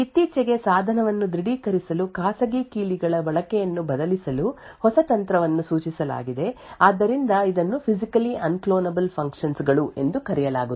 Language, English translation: Kannada, Quite recently there has been a new technique which was suggested to replace the use of private keys as a mean to authenticate device, So, this is known as Physically Unclonable Functions